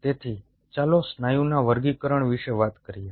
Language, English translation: Gujarati, so lets talk about the classification of the muscle